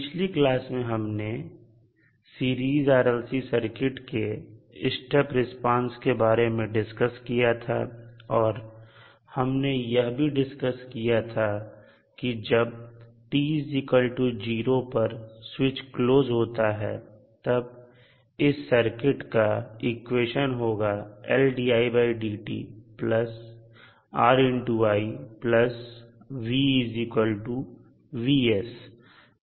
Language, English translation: Hindi, In the last class we discussed about the step response of a Series RLC Circuit and we discussed that at time t is equal to 0 when the switch is closed, the equation for the particular circuit is , where the Vs is the voltage source